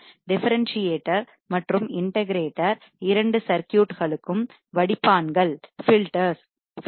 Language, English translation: Tamil, Differentiator and integrator both the circuits are as filters